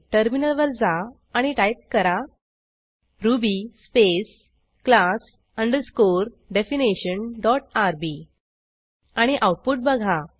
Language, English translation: Marathi, Switch to the terminal and type ruby space class underscore methods dot rb and see the output